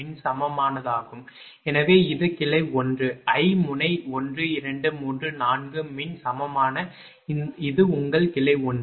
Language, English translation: Tamil, So, this is branch 1 I node 1 2 3 4 electrically equivalent this is your branch 1, right